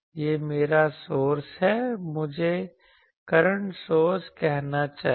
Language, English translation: Hindi, This is my source, current source